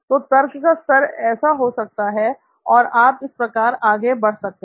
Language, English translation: Hindi, So this could be the level of reasoning, and so on and so forth you can keep going down